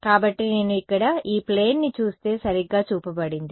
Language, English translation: Telugu, So, if I look at this plane over here which is shown right